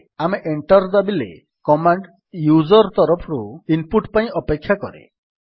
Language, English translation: Odia, Now when we press Enter the command waits for input from the user